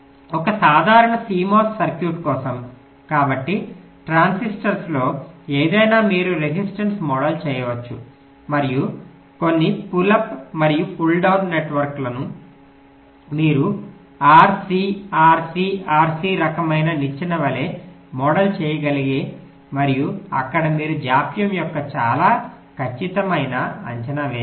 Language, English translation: Telugu, so for a general simo circuit, so any on transistoric and model as a resistance and some pull up and pull down network, any such things, you can model as ah r, c, r, c, r c kind of a ladder and there you can make a quite accurate estimate of the dealing